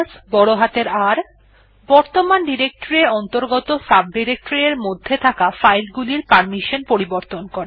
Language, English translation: Bengali, R: To change the permission on files that are in the subdirectories of the directory that you are currently in